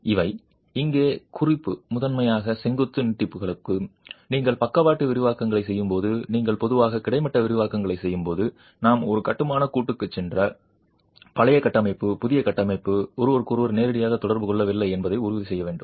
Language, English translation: Tamil, When you are doing lateral expansions, when you are doing horizontal expansions typically we would go in for a construction joint and ensure that the old structure and the new structure do not directly interact with each other